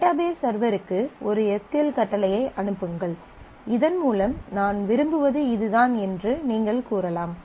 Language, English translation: Tamil, And send an SQL command to the database server so that you can say that this is what I want